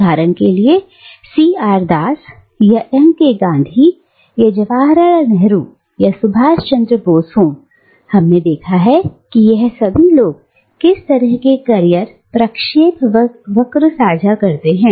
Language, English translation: Hindi, And, be it C R Das, for instance, or M K Gandhi, or Jawaharlal Nehru, or Subhash Chandra Bose, we have seen how all of these people, they share similar career trajectories